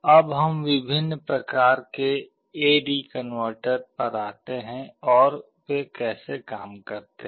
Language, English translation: Hindi, Now let us come to the different types of A/D converter and how they work